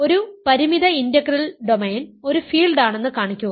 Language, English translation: Malayalam, So, show that a finite integral domain is a field